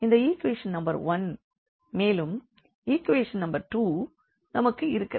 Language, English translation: Tamil, So, this is equation number 1 and then we have an equation number 2 here